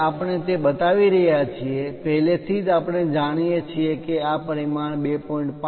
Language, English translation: Gujarati, When we are showing that, already we know this dimension is 2